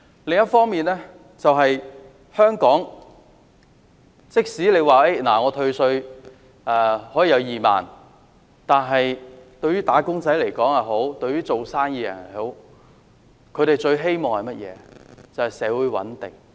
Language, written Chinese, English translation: Cantonese, 此外，即使政府退稅2萬元，對於"打工仔"或做生意的人來說，他們最希望的是社會穩定。, Besides what wage - earners or businessmen want the most is not a 20,000 tax concession from the Government . They want social stability